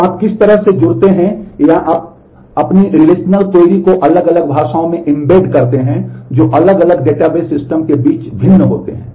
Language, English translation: Hindi, So, how do you connect to or embed such embed your relational query into different languages that differ between different database systems